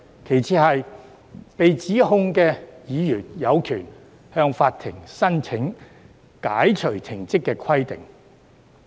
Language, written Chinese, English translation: Cantonese, 其次，被起訴的議員亦有權向法庭申請解除停職的規定。, Second the members concerned are entitled to apply to court to lift the suspension